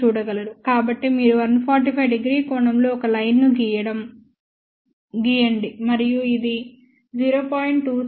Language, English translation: Telugu, So, you draw a line at 145 degree angle and this is 0